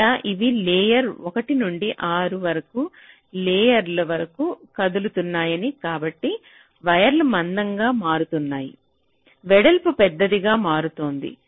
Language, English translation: Telugu, so as you see that, as you are moving from layer one up to layer six, sorry, so the wires are becoming thicker and thicker, the width is becoming larger